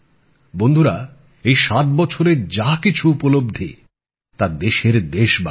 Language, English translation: Bengali, Friends, whatever we have accomplished in these 7 years, it has been of the country, of the countrymen